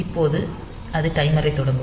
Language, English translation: Tamil, So now, it will start the timer